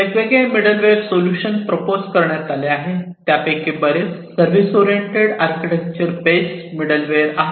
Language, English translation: Marathi, So, there are different middleware solutions, that are proposed and many of them are based on the service orientation, service oriented architecture based middleware